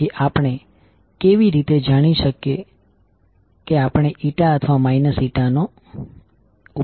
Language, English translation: Gujarati, So how to find out whether we should use plus n or minus n